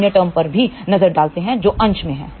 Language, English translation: Hindi, Let just look at other terms also in the numerator